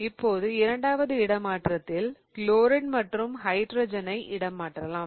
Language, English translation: Tamil, So, in my first swap, I'm going to swap chlorine and nitrogen